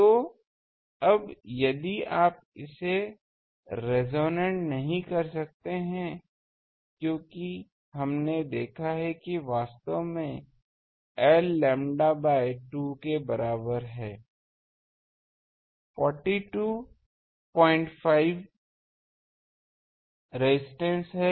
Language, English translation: Hindi, So, now, if you cannot make it resonant because we have seen that actually at l is equal to lambda by 2 there is a 42